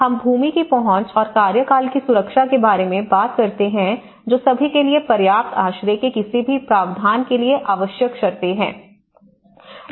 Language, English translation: Hindi, Land tenure, we talk about the access to land and security of tenure which are the prerequisites for any provision of adequate shelter for all